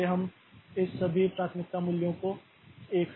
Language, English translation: Hindi, So, we decrement all this priority values by 1